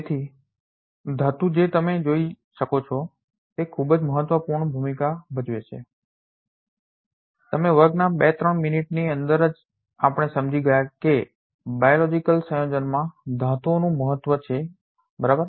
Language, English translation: Gujarati, So, metal as you can see plays a very important role already right what within 2 3 minute of the class we realized that metals has importance in biological setup, right